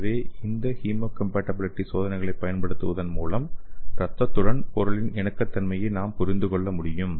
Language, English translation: Tamil, So by using this hemocompatibility test we can understand the compatible of the material with the blood